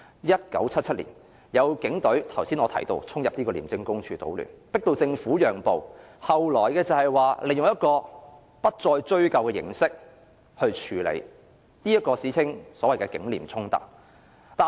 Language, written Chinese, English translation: Cantonese, 1977年，正如我剛才提到，更有警員衝進廉署總部搗亂，迫使政府讓步，最後是利用不再追究的形式來處理，即歷史上所謂"警廉衝突"。, In 1977 as I have just said numerous police officers marched to the ICAC headquarters to cause a disturbance in an attempt to force the Government to give in . The conflict was finally resolved after the Government agreed not to pursue the cases . This was the conflict between the Police Force and ICAC in the history of Hong Kong